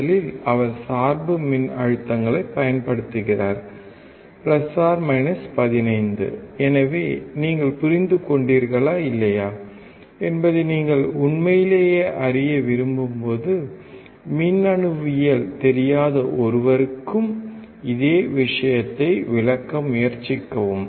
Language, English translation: Tamil, First he is applying the bias voltages + 15 So, when you really want to know whether you have understood or not, try to explain the same thing to a person who does not know electronics